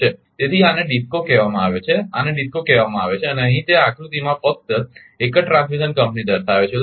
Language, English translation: Gujarati, So, this is called DISCO and this is called DISCO and here, it is showing in this diagram only one transmission companies